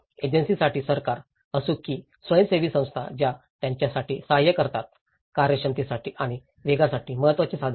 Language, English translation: Marathi, For the agencies, whether is a government or voluntary organisations who administrate assistance for them, the important tools for efficiency and the speed